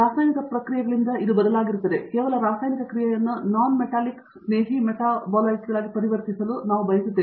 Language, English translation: Kannada, Which is replaced by a chemical process; just we want to convert chemical process into non metallic friendly metabolites